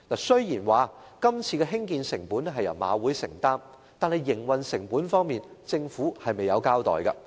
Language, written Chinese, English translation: Cantonese, 雖然今次的興建成本由香港賽馬會承擔，但營運成本方面，政府卻未有交代。, Although the construction costs are borne by the Hong Kong Jockey Club the Government has not given an account of the operating costs